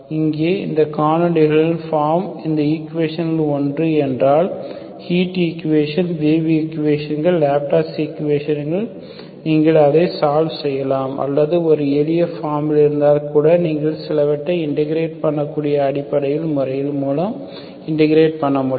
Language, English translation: Tamil, Here also if these canonical forms are one of these equations, heat equation, wave equations, Laplace equation, you can solve it or otherwise also if it is in a simpler form, so we can simply integrate by elementary methods you can integrate some of the equations